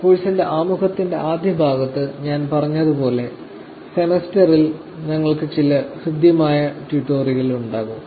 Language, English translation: Malayalam, So, as I was saying in the first part of the introduction of the course we will actually have some hands on tutorials over the semester